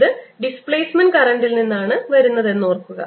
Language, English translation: Malayalam, remember, this is coming from the displacement current